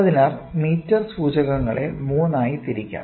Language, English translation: Malayalam, So, meter indicators can be classified into three